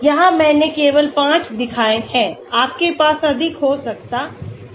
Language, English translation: Hindi, Here I have shown only 5, you may have more